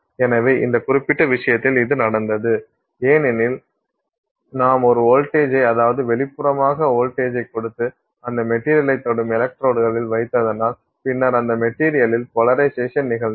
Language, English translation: Tamil, So, this happened in this particular case because you applied a voltage, externally applied voltage you put on electrodes touching that material and then the polarization of that material happened